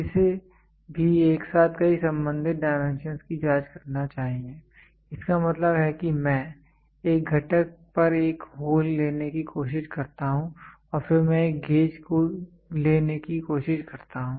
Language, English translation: Hindi, It should also simultaneously check as many related dimensions thus possible; that means, to say I try to take a hole on a component and then I try to take a gauge